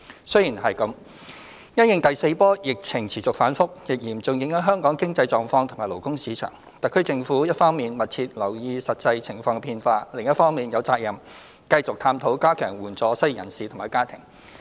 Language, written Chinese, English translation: Cantonese, 雖然如此，因應第四波疫情持續反覆，亦嚴重影響香港經濟狀況及勞工市場，特區政府一方面密切留意實際情況變化，另一方面有責任繼續探討加強援助失業人士及其家庭。, Nonetheless in view of the continuous fluctuations of the fourth wave of the epidemic which has seriously affected Hong Kongs economy and labour market the HKSAR Government will keep in view changes of the actual circumstances and strive to keep on exploring ways to strengthen assistance for the unemployed and their families